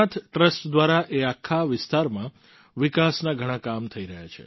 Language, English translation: Gujarati, Many works for the development of that entire region are being done by the Somnath Trust